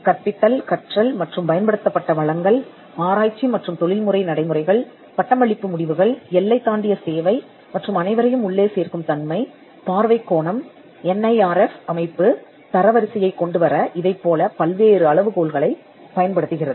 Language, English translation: Tamil, Teaching, learning and the resources employed, research and professional practices, graduation outcomes, outreach and inclusivity, perception; there are different yardsticks that the NIRF uses in coming up with its ranking